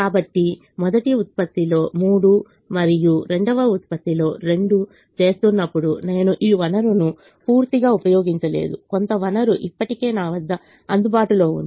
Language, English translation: Telugu, so when i am making three of the first product and two of the second product, i have not utilized this resource fully